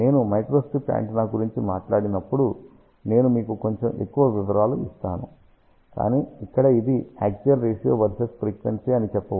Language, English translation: Telugu, When I talk about microstrip antenna, we will give you little bit more details, but over here you can say that this is axial ratio versus frequency